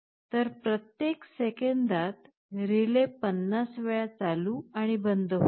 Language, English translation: Marathi, So, in every second the relay will be switching ON and OFF 50 times